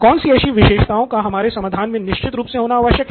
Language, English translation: Hindi, What features does the solution definitely have